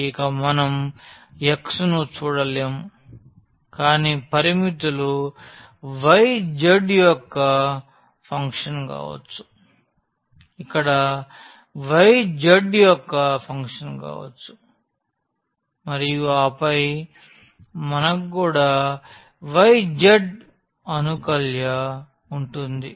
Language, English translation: Telugu, So, we will not see x anymore, but the limits can be here the function of y z here can be the function of y z and then we will have also the y z in the integrand